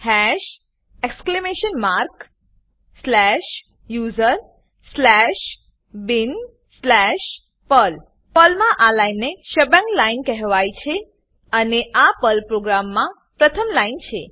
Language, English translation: Gujarati, Hash exclamation mark slash usr slash bin slash perl This line in Perl is called as a shebang line and is the first line in a Perl program